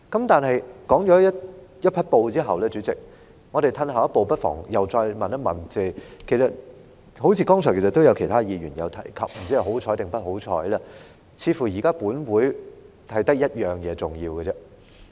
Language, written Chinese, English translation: Cantonese, 代理主席，長篇大論一番後，我們不妨再退後一步問，就是......剛才也有其他議員提到，不知是幸運還是不幸，似乎現在本會只有一項重要事項要處理。, Deputy Chairman having held forth for a while we might as well take a step back and ask that is As other Members have also mentioned earlier whether fortunately or not the Council has apparently only one important matter to deal with now